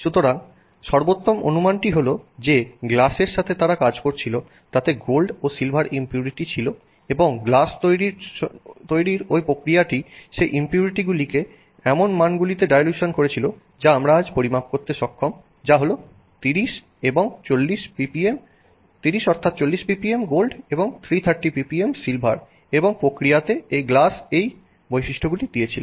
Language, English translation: Bengali, So, the best guess is that there were gold and silver impurities in the glass that they were working with and the process of making the glass resulted in dilution of those impurities to the values that we are today able to measure which is this 30, I mean 40 ppm and 330 ppm of silver and in the process the glass gave these properties